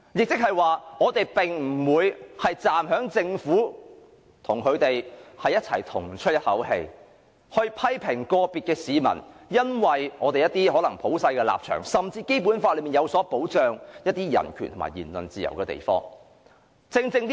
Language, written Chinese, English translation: Cantonese, 即是說，我們並不會站在政府的一方，與它一鼻孔出氣，批評個別市民因一些普世價值，甚至基於《基本法》對人權及言論自由的保障而作出的言論。, It means that we will not ally with the Government and sing the same tune to criticize individual citizens for their remarks on some universal values or even those based on the protection of human rights and freedom of speech afforded by the Basic Law